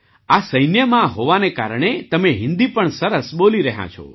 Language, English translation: Gujarati, Being part of the army, you are also speaking Hindi well